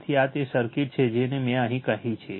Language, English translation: Gujarati, So, so this is the circuit I told you right